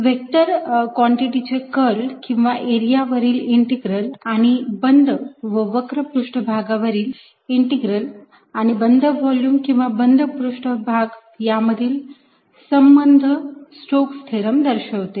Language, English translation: Marathi, stokes theorem relates the curl of a vector quantity or its integral over an area to its line integral over a closed curve, and this over a closed volume or close surface